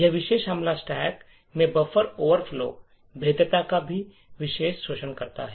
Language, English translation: Hindi, So, this particular attack also exploits a buffer overflow vulnerability in the stack